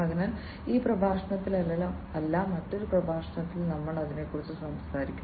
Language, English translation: Malayalam, So, we will talk about that in another lecture not in this lecture